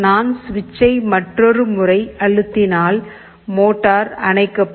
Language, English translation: Tamil, If I press another time, motor will turn off